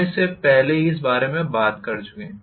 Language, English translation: Hindi, We already talked about this